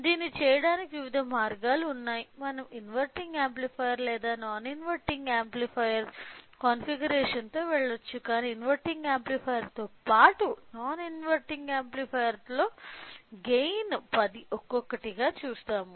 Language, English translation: Telugu, So, there are different ways of doing it either we can go with inverting amplifier or non inverting amplifier configuration, but we will see one by one implementation of gain of 10 with inverting amplifier as well as non inverting amplifier to